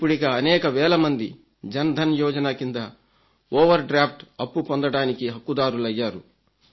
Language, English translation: Telugu, Thousands of people under the Jan Dhan Yojana are now eligible to take an overdraft and they have availed it too